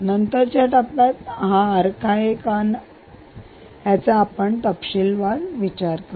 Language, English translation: Marathi, right, we will come to the details of why it is an arc at a later stage